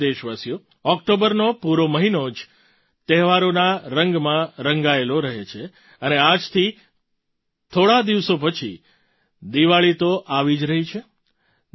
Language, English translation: Gujarati, the whole month of October is painted in the hues of festivals and after a few days from now Diwali will be around the corner